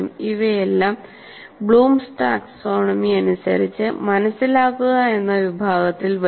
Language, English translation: Malayalam, These will all come under the category of what we call, what we called in Bloom's taxonomy is understand